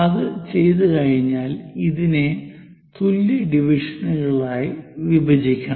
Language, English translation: Malayalam, Once it is done, we have to divide this into 12 equal parts